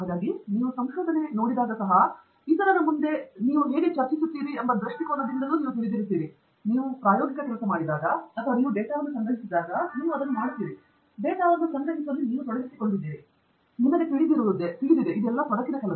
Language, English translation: Kannada, So I would say, you know, even when you look at research, and when you say from the perspective of how you discuss it in front of others, when you do experimental work, and you collect data, in a sense you are doing that drudgery; all those hard work that, you know, is involved in collecting the data